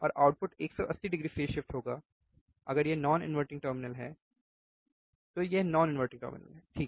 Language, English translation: Hindi, And the output will be 180 degree phase shift, which is my if it is a non inverting terminal, this is non inverting terminal, right